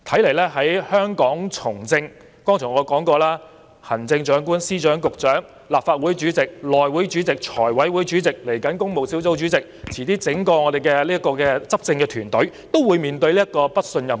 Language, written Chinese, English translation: Cantonese, 我剛才已說過，除了行政長官、司長、局長、立法會主席、內務委員會主席、財務委員會主席，以至工務小組委員會主席，遲些我們整個執政團隊也會面對"不信任"議案。, As I said just now apart from Chief Executives Secretaries Directors of Bureaux the President of the Legislative Council Chairmen of the House Committee the Finance Committee and even the Public Works Subcommittee and shortly our entire governing team will all have to contend with no - confidence motions